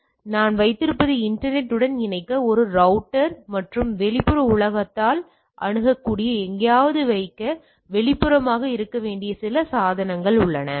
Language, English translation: Tamil, So, what I am having a router to connect to the internet and there are some of the devices which needs to be external to be needs to be put some place where it will be accessed by the external world